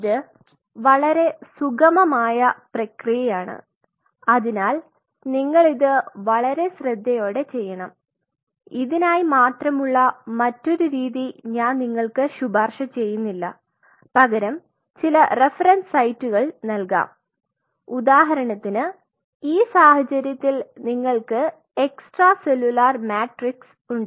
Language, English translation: Malayalam, You have to be very gentle and fairly smooth process it has to be done with utmost care, the other method which especially for this particular thing I will not recommend because and I will give you a few references sites, few references you will see what you can do is say for example, in this case you have this is extracellular matrix